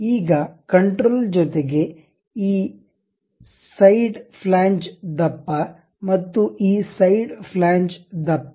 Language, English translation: Kannada, Now, this side flange thickness, control and this side flange thickness